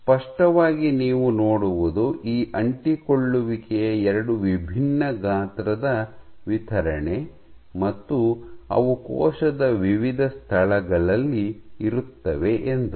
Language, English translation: Kannada, So, clearly you see that there is two different size distribution of these adhesions